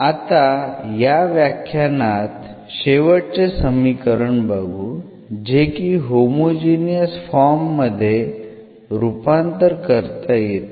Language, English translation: Marathi, Now, the last one for this lecture we have the equations which can be reduced to this homogeneous form